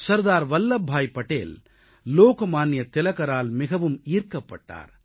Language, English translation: Tamil, Sardar Vallabh Bhai Patel was greatly impressed by Lok Manya Tilakji